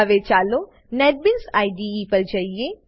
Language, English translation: Gujarati, Now let us switch to Netbeans IDE